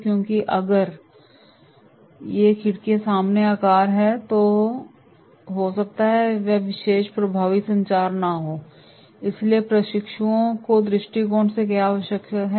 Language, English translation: Hindi, Because if these windows are of equal size right then it may not be that particular effective communication, so what is required from trainees’ point of view